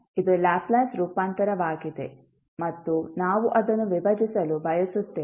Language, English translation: Kannada, So, this is the Laplace Transform and we want to decompose it